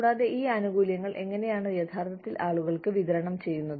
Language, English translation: Malayalam, And, how these benefits are actually disbursed, to people